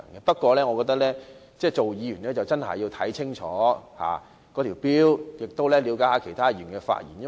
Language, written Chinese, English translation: Cantonese, 不過，作為議員應該要看清楚《條例草案》的條文，亦要了解其他議員的發言內容。, Yet Members have the obligation to understand the provisions of the Bill and listened carefully to the speeches of other Members